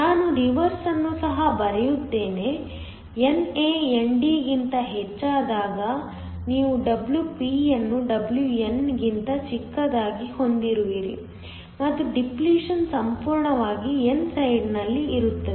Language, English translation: Kannada, I will also just write the reverse, when NA is much greater than ND then you have Wp much smaller than Wn and the depletion is almost entirely on the n side